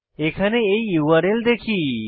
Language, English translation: Bengali, Now, have a look at the URL here